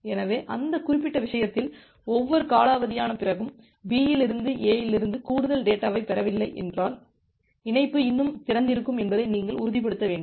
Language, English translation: Tamil, So, in that particular case, you have to ensure that after every timeout, B should if B is not receiving any more data from A and the connection is still open